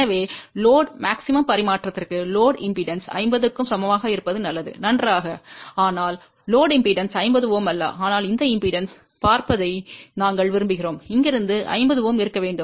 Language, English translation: Tamil, So, for maximum transfer to the load, it will be better that the load impedance is equal to 50 Ohm well, but the load impedance is not 50 Ohm but we would prefer that impedance looking from here should be 50 Ohm